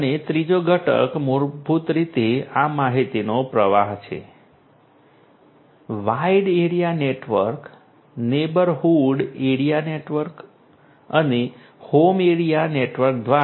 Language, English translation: Gujarati, And the third component is basically this information flow, through the wide area network, neighborhood area network and the home area network